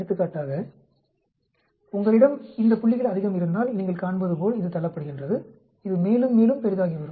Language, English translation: Tamil, For example, if had more of these points, it is getting pushed as you can see it becoming bigger and bigger